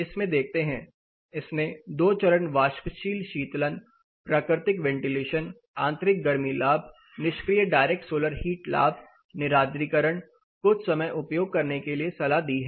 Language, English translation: Hindi, Let us look at this it has suggested two stage evaporative cooling, it has suggested natural ventilation, it has also suggested internal heat gains, passive direct solar heat gain, dehumidification for some time